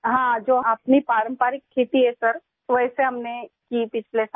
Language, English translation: Hindi, Yes, which is our traditional farming Sir; we did it last year